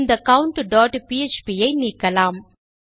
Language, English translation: Tamil, Let me remove this count.php